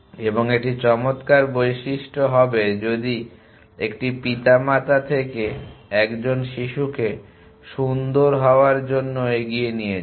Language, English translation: Bengali, And that would be nice feature if in carried forward from 1 parent to a child to be nice